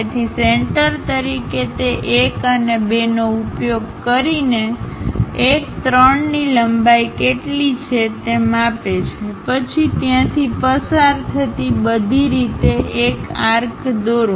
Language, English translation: Gujarati, So, using those 1 and 2 as centers measure what is the length 1 3, then draw an arc all the way passing through there